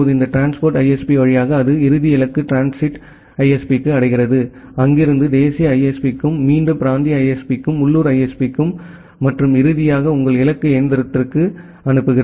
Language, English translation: Tamil, Now, via this transit ISP it reaches to the final destination transit ISP, from there to the national ISP again to the regional ISP to the local ISP and finally, to your destination machine